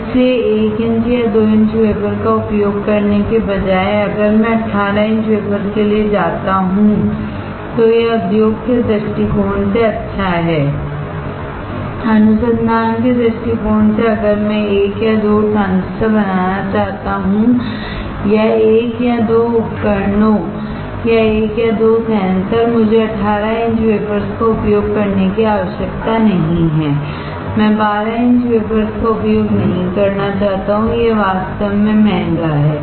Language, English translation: Hindi, So, instead of using 1 inch or 2 inch wafer, if I go for 18 inch wafer, then it is good from the industry point of view, from the research point of view if I want to fabricate 1 or 2 transistor or 1 or 2 devices or 1 or 2 sensors, I do not need to use 18 inch wafers, I do not want to use 12 inch wafers, it is really costly